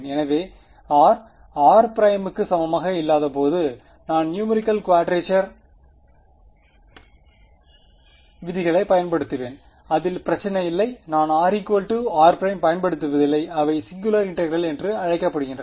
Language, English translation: Tamil, So, when r is not equal to r prime I will use numerical quadrature rules no problem segments where r is equal to r prime those are what are called singular integrals